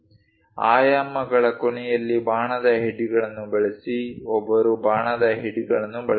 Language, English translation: Kannada, Use arrow heads at the end of the dimensions, arrow heads one has to use